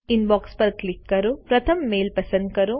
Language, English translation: Gujarati, Click on Inbox, select the first mail